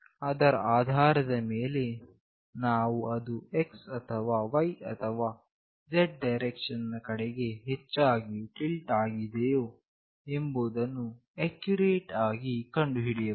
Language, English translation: Kannada, Based on that we can accurately find out whether it is tilted more towards x, or y, or z direction